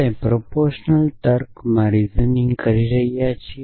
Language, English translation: Gujarati, So, we have been looking at reasoning in proportional logic